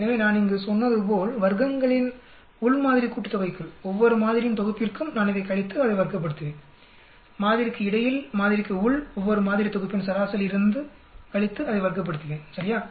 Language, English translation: Tamil, So within sample sum of squares as I said here so for each set of sample I will subtract from this and square it up, between sample, within sample I will subtract from the mean of each sample set and square it up right